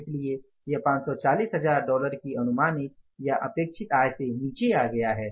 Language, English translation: Hindi, So, it has come down from the estimated or the expected income of the $540,000